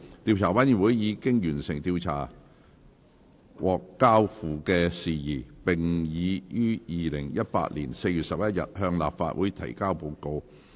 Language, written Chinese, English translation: Cantonese, 調查委員會已完成調查獲交付的事宜，並已於2018年4月11日向立法會提交報告。, The investigation committee has completed investigation into the matter referred to it and presented its report to the Council on 11 April 2018